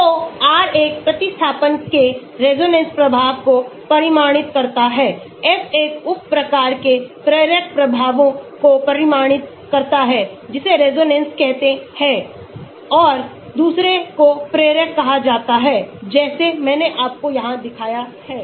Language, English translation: Hindi, So, R quantifies a substituent’s resonance effects F quantifies a substituent’s inductive effects one is called the resonance and the other is called the inductive like I showed you here